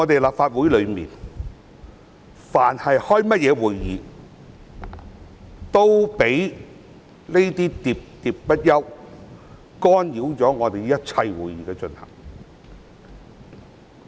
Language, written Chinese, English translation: Cantonese, 立法會但凡召開任何會議，都會被那些喋喋不休的議員，干擾會議進行。, Whenever the Legislative Council held a meeting the progress of such meeting would be disturbed by those Members who chattered on and on